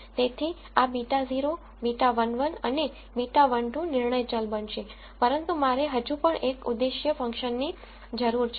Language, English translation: Gujarati, So, these beta naught beta 1 1 and beta 1 2 will become the decision variables but I still need an objective function